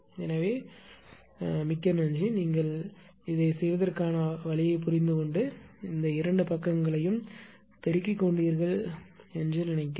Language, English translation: Tamil, So, thank you very much I think you have understood this little way to do it and multiply both sides